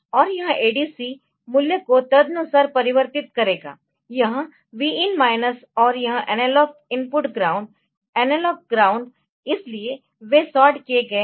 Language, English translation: Hindi, And this ADC will convert the value accordingly, the, this Vin minus and this analog input ground so, analog ground so, they are sorted